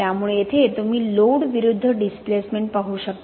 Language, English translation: Marathi, So here you can see the load versus the displacement